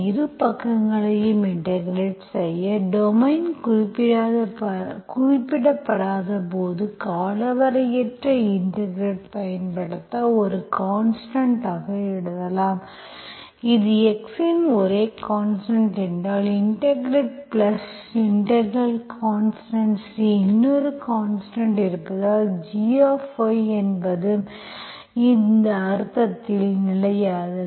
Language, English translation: Tamil, A small digression here, so whenever you have, you are integrating both sides, when the domain is not specified, you are simply using indefinite integration, so that you are writing as a constant, if it is the only variable of x, you simply integrate plus integration constant C, because we have another variable, G of y is also constant in that sense